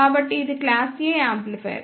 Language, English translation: Telugu, So, this is class A amplifier